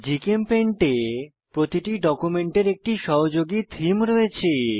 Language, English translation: Bengali, In GchemPaint, each document has an associated theme